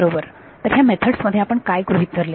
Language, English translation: Marathi, Right so, in these methods what did we assume